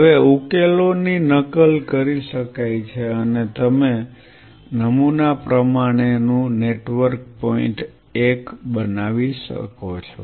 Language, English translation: Gujarati, Now, solution could be mimicked and form a pattern network point 1